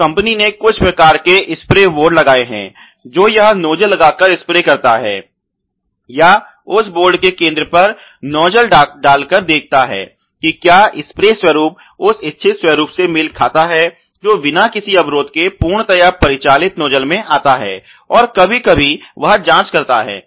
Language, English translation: Hindi, So, the company has put in place some kind of spray board, where you know it sprays the by putting the nozzle or inserting the nozzle on the center of that board and sees if the spray patterns matches the intended pattern that is supposed to come you know in a fully operational nozzle with zero clogging ok, so that is also again once in a while that he does this check